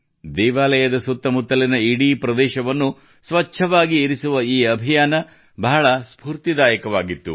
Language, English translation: Kannada, This campaign to keep the entire area around the temples clean is very inspiring